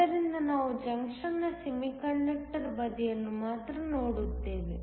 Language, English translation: Kannada, So, we will look only at the semiconductor side of the junction